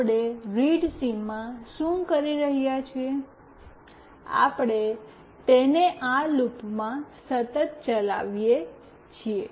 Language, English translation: Gujarati, What we are doing in readsms, we are continuously running this in that loop